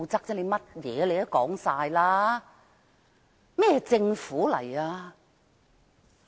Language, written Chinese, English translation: Cantonese, 甚麼都是你說的，這是甚麼政府？, They have the final say in all matters . What kind of a government is this?